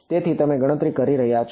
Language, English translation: Gujarati, So, you are computing